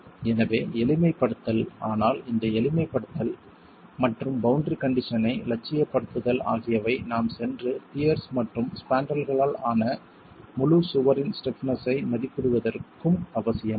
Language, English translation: Tamil, So, simplification but this simplification and idealization of the boundary condition is essential for us to be able to go and estimate the stiffness of an entire wall composed of pears and spandrels